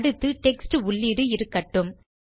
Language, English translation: Tamil, Now we will have a text input